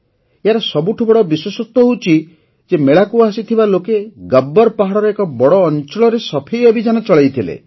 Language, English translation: Odia, The most significant aspect about it was that the people who came to the fair conducted a cleanliness campaign across a large part of Gabbar Hill